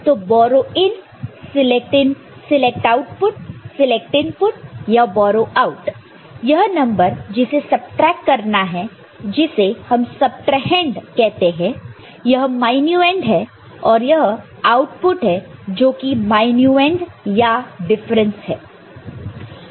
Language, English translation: Hindi, So, borrow in, select output, select input, or borrow out, this is number to be subtracted, this is subtrahend, this is minuend and this is the output whether it is minuend or the difference ok